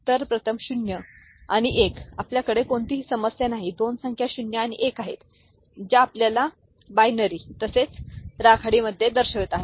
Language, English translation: Marathi, So, first 0 and 1 we have no issue, two numbers 0 and are 1 is getting you know represented in binary as well as gray